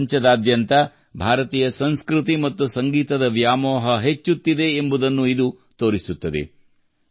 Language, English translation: Kannada, This shows that the craze for Indian culture and music is increasing all over the world